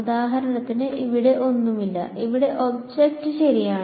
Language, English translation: Malayalam, For example, here there is nothing and here there is the object right